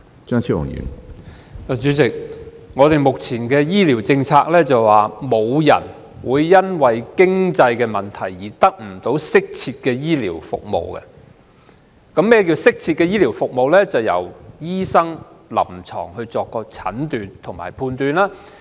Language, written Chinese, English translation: Cantonese, 主席，本港目前的醫療政策是沒有人會因為經濟問題而得不到適切的醫療服務。所謂適切的醫療服務，是建基於醫生的臨床診斷及判斷。, President the present health care policy of Hong Kong is that no one will be deprived of optimal health care services because of lack of means; and optimal health care services are based on doctors clinical diagnoses and judgment